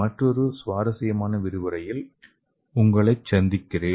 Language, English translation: Tamil, I will see you in another interesting lecture